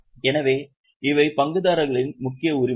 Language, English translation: Tamil, So, these are the main rights of shareholders